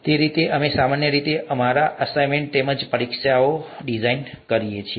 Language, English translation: Gujarati, That's the way we typically design our assignments as well as the exams